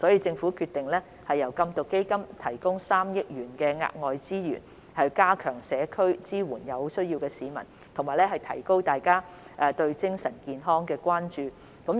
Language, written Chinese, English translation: Cantonese, 政府決定由禁毒基金提供3億元額外資源，加強於社區支援有需要的市民，並提高大家對精神健康的關注。, The Government has decided to provide additional resources of 300 million under the Beat Drugs Fund to better support the needy in the community and raise public awareness of mental health